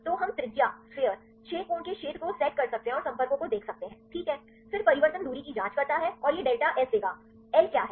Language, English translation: Hindi, So, we can set this sphere of radius 6 angstrom and look at the contacts, right, then the change check the distance separation and that will give delta S; what is L